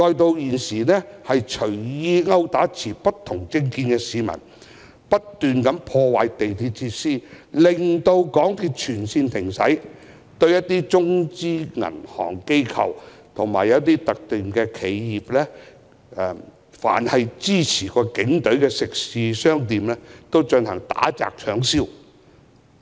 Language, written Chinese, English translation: Cantonese, 現時，他們更隨意毆打持不同政見的市民；不斷破壞港鐵設施，令港鐵全線停駛；對中資銀行、機構和企業，以及支持警隊的食肆和商店打、砸、搶、燒。, Now they have even randomly assaulted people holding different political views and relentlessly destroyed facilities of the MTR Corporation Limited causing the total suspension of MTR services . They engaged in acts of assault vandalism looting and arson on Mainland - funded banks organizations and enterprises as well as restaurants and shops supporting the Police